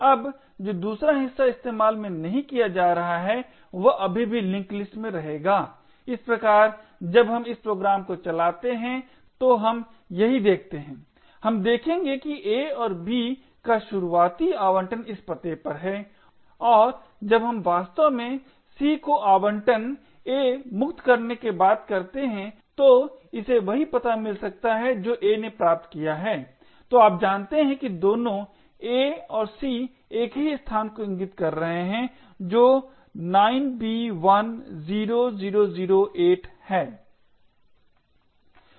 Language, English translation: Hindi, Now the other part which is not being used will still remain in the link list thus when we run this program this is what we would see, we would see that the initial allocation of a and b are at this addresses and when we actually allocate c after freeing a it could get exactly the same address that a has obtained, so you know that both address a and c are pointing to the same location that is 9b10008